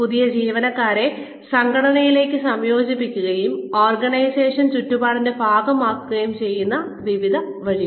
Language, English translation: Malayalam, Various ways in which, new employees are integrated, into the organization, and made a part of the organizational milieu